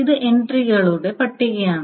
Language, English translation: Malayalam, So this is the list of entries